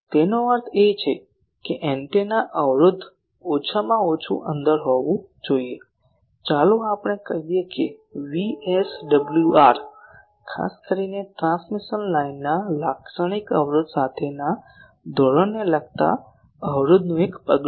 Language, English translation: Gujarati, That means antennas impedance should be at least within let us say that how much more sometimes you know VSWR is a measure of impedance with respect to a standard particularly with a characteristic impedance of the transmission line